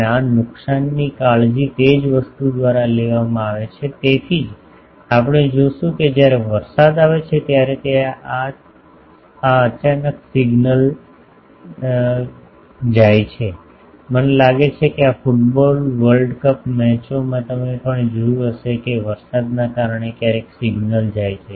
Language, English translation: Gujarati, And this losses are taken care of by the thing that is why we will see that actually when rain comes, then there the suddenly the signal goes, I think in the this football world cup matches also you have seen that sometimes the due to rain the signal is going